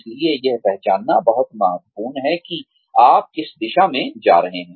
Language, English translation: Hindi, So, it is very important to identify, which direction, you are going to be taking